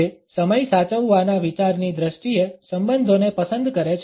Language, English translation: Gujarati, It prefers relationships in terms of the idea of keeping time